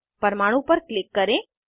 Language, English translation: Hindi, Click on the atom